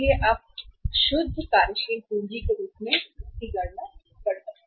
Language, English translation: Hindi, So then you can calculate as net working capital